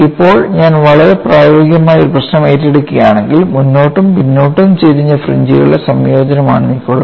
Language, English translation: Malayalam, Now, if I take up a problem which is particle I had a combination of both forward and backward tilted fringes